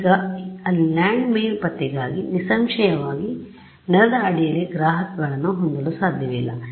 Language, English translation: Kannada, Now for something like landmine detection there; obviously, I cannot have receivers under the ground